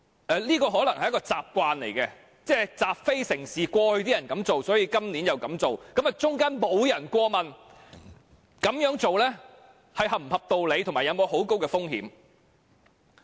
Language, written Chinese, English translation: Cantonese, 這可能是個習慣，即習非成是，過去這樣做，所以今年又這樣做，其間沒有人過問這個做法是否合理、有沒有很高的風險。, That it might be a habit that is they are accustomed to what is wrong and takes it to be right . It was done in this way in the past so it is done in this way this year . Nobody ever questions during the interim whether the practice is reasonable or poses a high risk